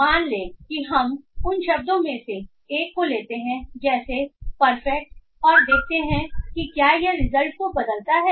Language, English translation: Hindi, For example let us see some other word say let us take one of those words like perfect and see will this change the result